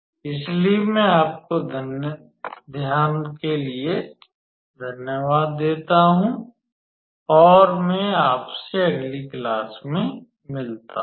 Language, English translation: Hindi, So, I thank you for your attention and I will see you in the next class